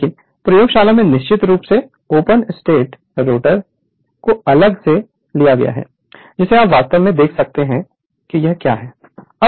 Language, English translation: Hindi, But, in the laboratory definitely you have that your stator open starter open rotor separately such that, you can see on your eyes that exactly what it is right